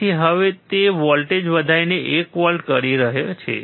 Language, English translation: Gujarati, So now, he is increasing the voltage to 1 volt